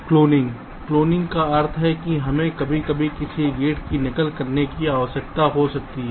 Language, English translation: Hindi, cloning as it implies that we sometimes may need to duplicate a gate